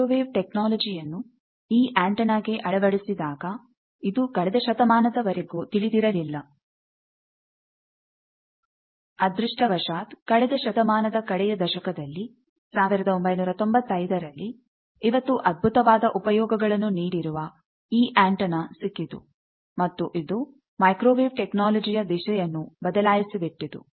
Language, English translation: Kannada, Now, this is purely when the microwave technology was applied this antenna came out it was not known throughout almost the last century, but fortunately in the last decade of the century 1995, we got this antenna which has got tremendous application today and it has changed the whole ball game of microwave technology